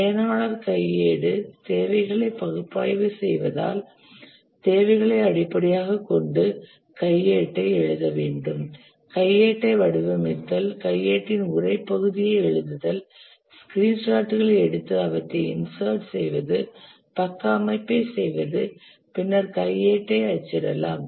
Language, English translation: Tamil, For the user manual, analyze the requirements because you have to write the manual based on the requirements, design the manual, write the text part of the manual, capture screenshots and insert them, do page layout, then print the manual